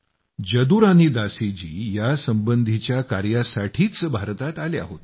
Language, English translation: Marathi, Jadurani Dasi ji had come to India in this very connection